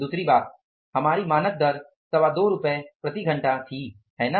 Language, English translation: Hindi, Second thing, our standard rate was 225 per hour, right